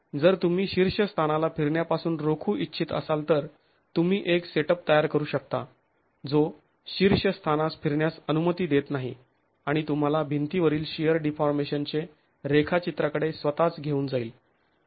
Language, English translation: Marathi, If you want to prevent the rotations at the top then you can create a setup which does not allow rotations at the top and takes you towards a shear deformation profile of the wall itself